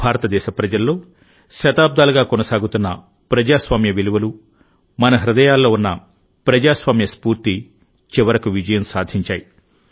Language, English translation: Telugu, For us, the people of India, the sanskars of democracy which we have been carrying on for centuries; the democratic spirit which is in our veins, finally won